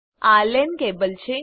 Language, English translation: Gujarati, This is a LAN cable